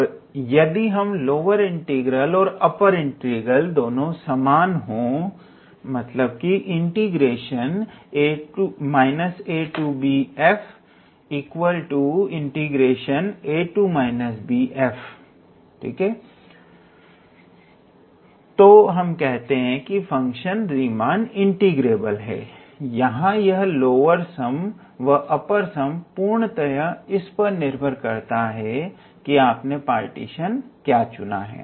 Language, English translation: Hindi, And if those lower integral and upper integral are same then in that case we say that the function is Riemann integrable, here the upper sum and the lower sum they depend heavily on what kind of partition you are choosing